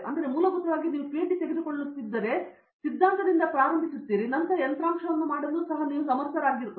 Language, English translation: Kannada, So if you take essentially we started of the theory, but we are able to do hardware we are able to do application